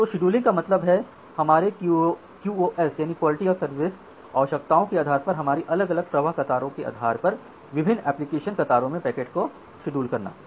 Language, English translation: Hindi, So, the scheduling means scheduling the packets in different application queues based on our different flow queues based on their QoS requirements ok